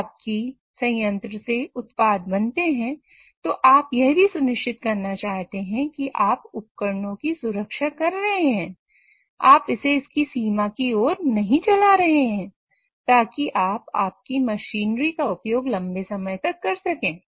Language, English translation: Hindi, So while making product of your plant, you also want to make sure that you are protecting the equipment, you are not running it towards its limit, so that you can take your plant or you can use your machinery for a very long time